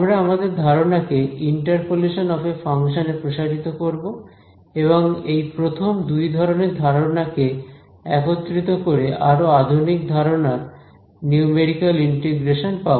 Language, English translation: Bengali, We will proceed to the idea of interpolation of a function and use the idea combine the first two ideas into more advanced ideas for numerical integration ok